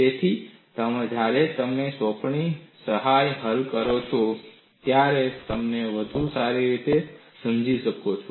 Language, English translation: Gujarati, So, when you solve the assignment problem, you will understand it better